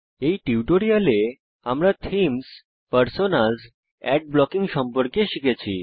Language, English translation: Bengali, In this tutorial, we learnt about: Themes, Personas, Ad blocking Try this assignment